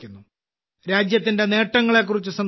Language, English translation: Malayalam, there is talk of the achievements of the country